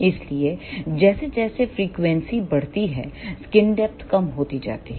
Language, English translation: Hindi, So, as frequency increases, skin depth decreases